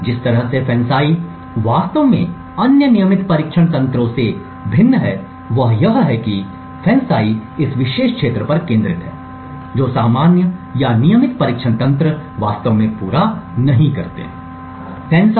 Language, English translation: Hindi, The way FANCI actually differs from the other regular testing mechanisms is that FANCI focuses on this particular area which normal or regular testing mechanisms would not actually cater to